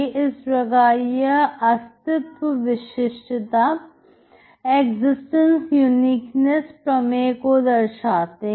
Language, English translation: Hindi, So that is what the existence uniqueness theorem is